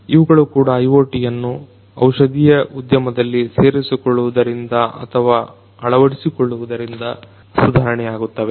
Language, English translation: Kannada, These are also going to improve with the incorporation or integration of IoT in the pharmaceutical industry